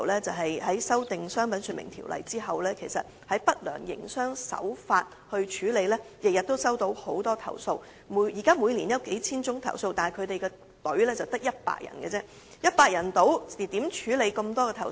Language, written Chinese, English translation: Cantonese, 在修訂《商品說明條例》後，海關每天均接獲大量有關不良營商手法的投訴，數目達每年數千宗，但處理投訴的隊伍卻只得100人，試問以100人之力如何能處理眾多投訴？, The Customs receives a large number of complaints about unfair trade practices every day after amendments have been made to the Trade Descriptions Ordinance and the number of complaints can amount to several thousands of cases every year . However there are only 100 officers in the team responsible for handling such complaints so how could it be possible for the Customs to deal with such a caseload with a workforce of only 100 officers?